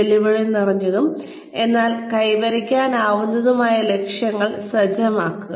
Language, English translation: Malayalam, Set challenging, but achievable goals